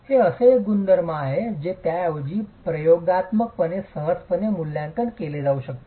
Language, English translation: Marathi, This is one property that can be rather easily assessed experimentally